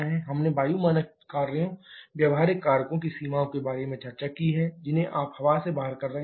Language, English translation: Hindi, We have discussed about the limitations of air standard functions, practical factors, which you are excluding air